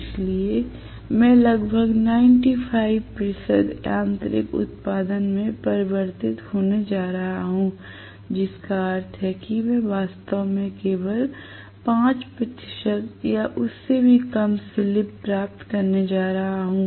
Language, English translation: Hindi, So, I am going to have almost 95 percent being going into being converted into mechanical output, which means I am going to have actually slip to be only about 5 percent or even less